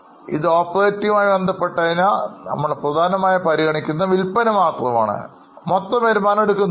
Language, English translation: Malayalam, Since this is operating related, we are mainly considering only net sales and not taking total revenue